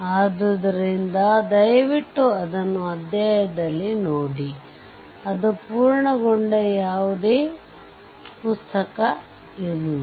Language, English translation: Kannada, So, please see it in a chapter, there is no such book it is completed, right